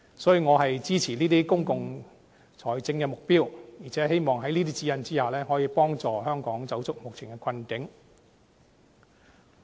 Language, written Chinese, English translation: Cantonese, 所以，我支持這些公共財政的目標，而且希望在這些指引之下，可以幫助香港走出目前的困境。, Hence I support these objectives in public finance and hope that under the guidelines they can steer Hong Kong out of the current economic plight